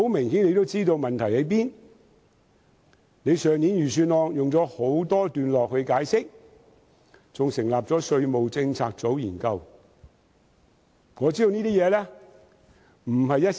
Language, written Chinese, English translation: Cantonese, 司長在去年的預算案中花了很多段落解釋，更成立稅務政策組研究問題。, The Financial Secretary devoted quite a number of paragraphs to this issue in last years Budget and even established a tax policy unit to conduct a study